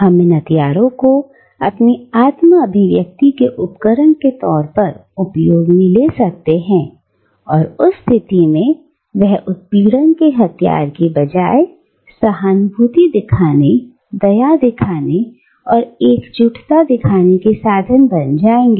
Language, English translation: Hindi, We can make these weapons, the tools of our self expressions, in which case, they seized to be modes of oppression and they become the means of showing empathy, of showing kindness, of showing solidarity